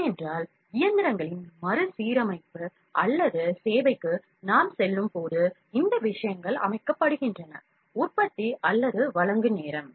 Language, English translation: Tamil, Because, when we go for overhauling or service of the machines, these things are set by the manufacture or the provider themselves